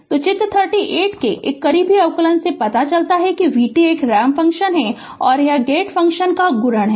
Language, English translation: Hindi, So, a close observation of figure 38 it reveals that v t is a multiplication of a ramp function and a gate function